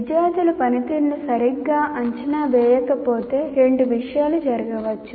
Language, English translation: Telugu, And the other one is, if the student performance is not evaluated properly, two things can happen